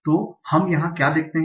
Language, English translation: Hindi, So what we see here